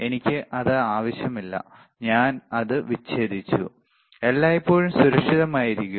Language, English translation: Malayalam, I do not need it I do not use it I just disconnected, always be safe, right